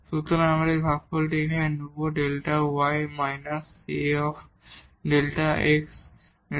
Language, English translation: Bengali, So, we will take this quotient here delta y minus A delta x over delta x